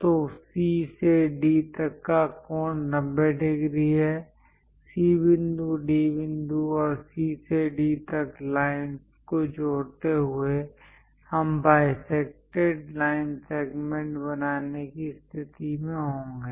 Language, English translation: Hindi, So, the angle from C to D is 90 degrees; by constructing C point, D point, and joining lines C to D, we will be in a position to construct a bisected line segment